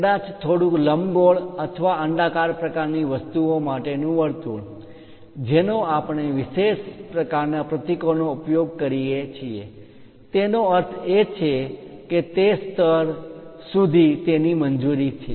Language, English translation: Gujarati, Perhaps a circle to slightly ellipse or oval kind of things we use special kind of symbols; that means, it is allowed up to that level